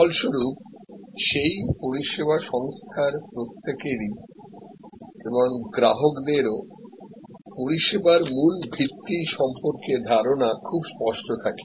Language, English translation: Bengali, As a result, everybody within that service organization and they are, customers are very clear about the basic premise of the service on offer